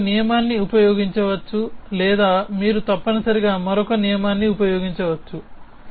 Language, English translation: Telugu, You could either use one rule or you could use another rule essentially